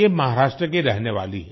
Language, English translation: Hindi, She is a resident of Maharashtra